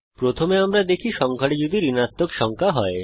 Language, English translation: Bengali, As we can see, we get the output as negative number